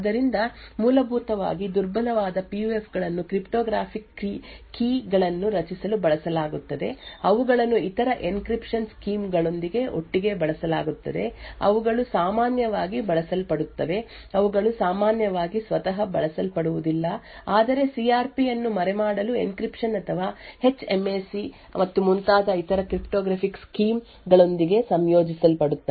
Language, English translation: Kannada, So essentially weak PUFs are used for creating cryptographic keys, they are used together with other encryption schemes like they are typically used they are typically not used by itself but typically combined with other cryptographic schemes like encryption or HMAC and so on in order to hide the CRP